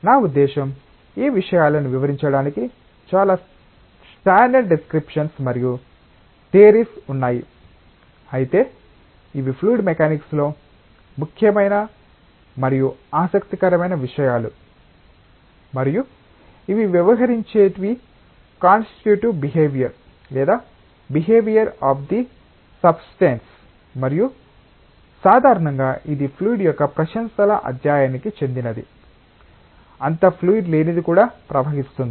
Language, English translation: Telugu, I mean of course, there are many standard descriptions and theories to describe these matters, but these are important and interesting topics in fluid mechanics and which deal with the constitutive behaviour or the behaviour of the substance as it is and typically it belongs to the study of eulogy of fluid flows even something not so fluid